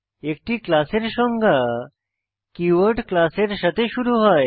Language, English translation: Bengali, A class definition begins with the keyword class